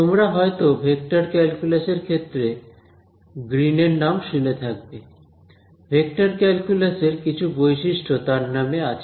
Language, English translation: Bengali, You would have heard the name of green in the context of vector calculus some identities of vector calculus are named after green right